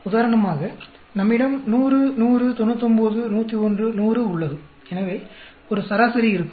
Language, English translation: Tamil, For example, we have 100, 100, 99, 101, 100; so there will be an average